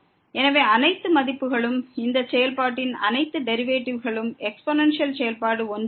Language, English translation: Tamil, So, for all values of all the derivatives of this function exponential function is 1